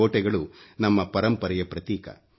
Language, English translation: Kannada, Forts are symbols of our heritage